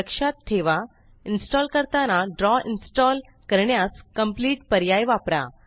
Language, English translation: Marathi, Remember, when installing, use the Complete option to install Draw